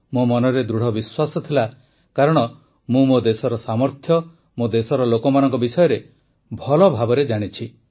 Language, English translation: Odia, I had this firm faith, since I am well acquainted with the capabilities of my country and her people